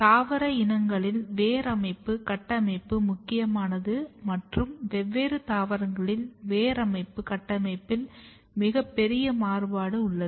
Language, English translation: Tamil, So, root system architecture as I said is very very important in the plant species and there is a huge variation in the root system architecture in different plants